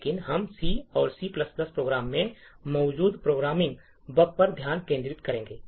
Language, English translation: Hindi, So, but we will be actually focusing on programming bugs present in C and C++ programs